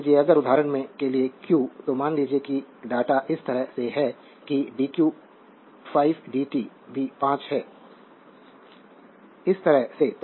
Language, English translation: Hindi, Suppose if q for example, a suppose you take the data in such a fashion such that the dq is 5 dt is also 5 so, that way